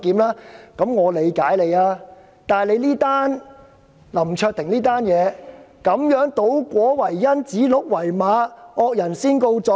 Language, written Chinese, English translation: Cantonese, 可是，這次的林卓廷事件是倒果為因，指鹿為馬，惡人先告狀。, Yet the present LAM Cheuk - ting incident is reversing cause and effect calling a stag a horse and filing of lawsuit by the guilty party first